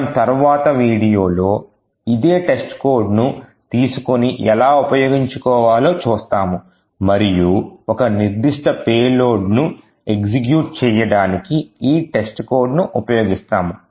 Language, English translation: Telugu, So, in the next video what we will see is that we will take the same test code and will see how we could exploit this test code and enforce this test code to execute a particular payload